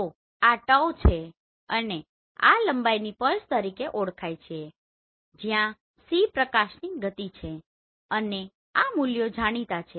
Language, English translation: Gujarati, So basically this is your tau right and this is also known as pulse of the length where c is your speed of light and the values are known